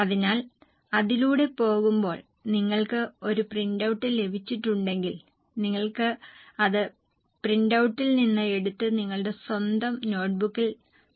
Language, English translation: Malayalam, So go through it and if you have got a printout you can take it from the printout also and start preparing in your own notebook